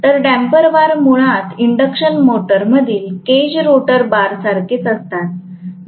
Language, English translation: Marathi, So, damper bars are basically similar to cage rotor bar in an induction motor